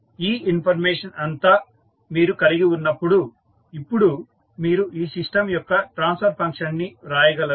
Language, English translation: Telugu, Now, when you are having all those information in hand, you can now write the transfer function of this system